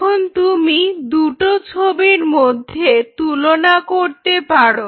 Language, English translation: Bengali, Now, could you compare this picture versus this picture